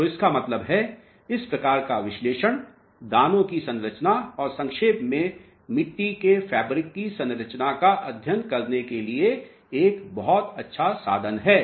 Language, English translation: Hindi, So, that means, this type of analysis happens to be a very good tool to study the grain structure and in short, the fabric structure of the soil mass